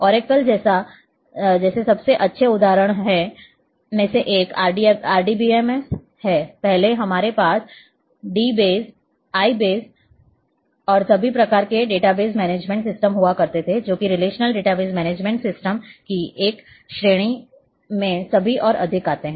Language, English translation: Hindi, One of the best examples like oracle is RDBMS earlier we used to have d base I base, and all kinds of database management system, which are all more fall in this category of relational database management system